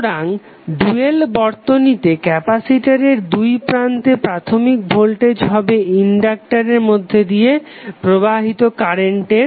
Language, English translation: Bengali, So capacitor in an initial the voltage across the capacitor is an initial current through inductor in the dual circuit